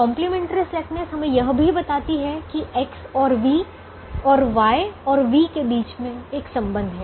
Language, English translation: Hindi, complimentary slackness also tells us that there is a relationship between x and v and y and u